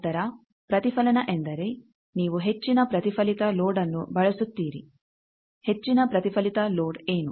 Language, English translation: Kannada, Then Reflect means you use a high reflected load, what is the high reflected load